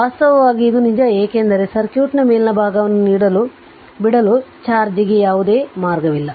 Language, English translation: Kannada, In fact, this is true because there is no path for charge to leave the upper part of the circuit right